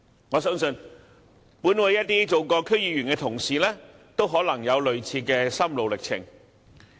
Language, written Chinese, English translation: Cantonese, 我相信，本會一些曾經做過區議員的同事都可能有類似的心路歷程。, I believe Honourable colleagues who have been DC members before may have similar feelings and experience